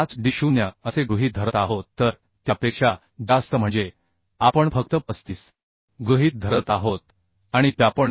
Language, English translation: Marathi, 5d0 so greater than that so we are assuming simply 35 and p we are assuming 2